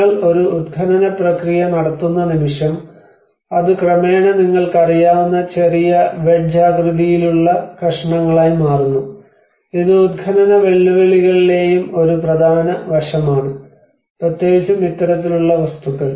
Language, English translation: Malayalam, The moment you are making an excavation process, it gradually brokes into small wedge shaped pieces you know, that is one of the important aspect in the excavation challenges and excavation challenge especially with this kind of material